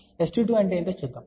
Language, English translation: Telugu, Let us see what is S 22